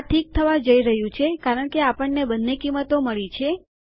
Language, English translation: Gujarati, This is going to be okay because we have got both values